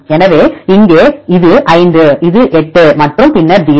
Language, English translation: Tamil, So, here this is 5, this is 8 and then 0